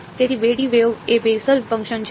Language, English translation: Gujarati, So, 2 D wave is a Bessel function